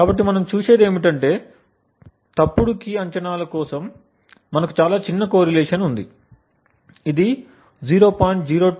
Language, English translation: Telugu, So what we see is that for wrong key guesses we have a correlation which is quite small which is less than 0